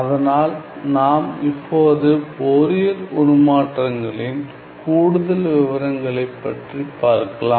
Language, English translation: Tamil, So, let us now move onto more details in Fourier transform